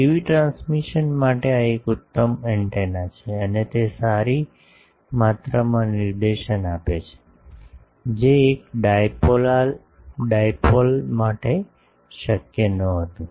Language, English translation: Gujarati, For TV transmission, this is an excellent a antenna and it gives good amount of directivity, which was not possible for a single dipole